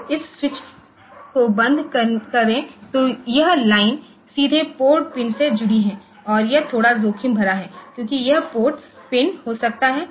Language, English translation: Hindi, So, close this switch then this line is directly connected to port pin and this is a bit risky because this port pin may